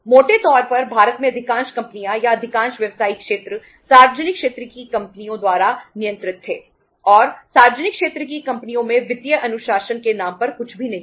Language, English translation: Hindi, Largely, most of the companies were or most of the business sectors in India were controlled by the public sector companies and in the public sector companies something means on the name of financial discipline almost there was nothing